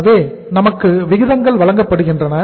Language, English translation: Tamil, So uh we are given the ratios